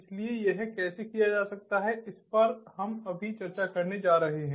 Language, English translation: Hindi, so how that can be done is what we are going to discuss now